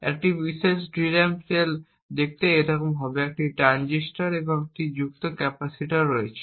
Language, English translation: Bengali, One particular DRAM cell would look like this, there is a transistor and an associated capacitor